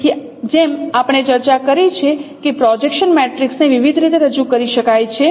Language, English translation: Gujarati, So as we have discussed that projection matrix can be represented in different ways